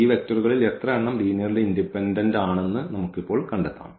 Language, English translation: Malayalam, So, these may not be the basis now we have to just find out that how many of these vectors are linearly independent